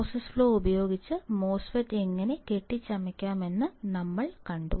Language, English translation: Malayalam, We have seen how the MOSFET can be fabricated using the process flow